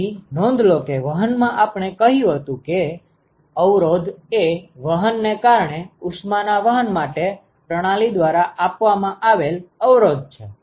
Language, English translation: Gujarati, So, note that in conduction we said the resistance is the resistance offered by the system for heat transport right due to conduction